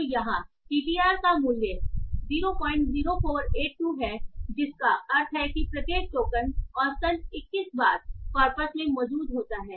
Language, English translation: Hindi, 0 482 which means that on an average each token is 21 times present in the corpus